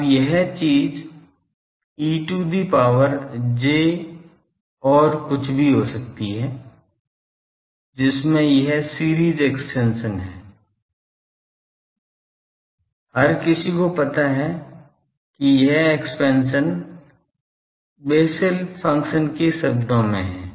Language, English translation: Hindi, Now, this thing e to the power j something cos that can be, that has a series expansion, anyone knows that this expansion is in terms of Bessel functions